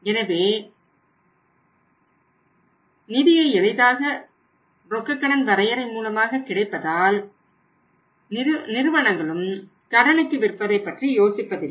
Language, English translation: Tamil, So since easy funds are available through cash credit limit so companies also do not think much for selling on the credit